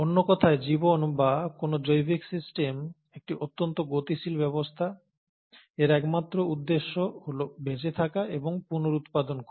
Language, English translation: Bengali, So in other words, life or any biological system is a very highly dynamic system, and it has it's sole purpose of surviving and reproducing